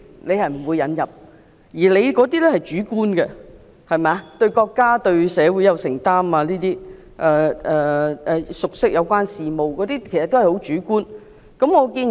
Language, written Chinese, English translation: Cantonese, 他提到的條件，例如對國家及社會有承擔、熟悉有關事務等都是主觀的條件。, The requirements he mentioned such as having a sense of commitment to the country and the community and possessing the knowledge of or experience in the affairs are subjective requirements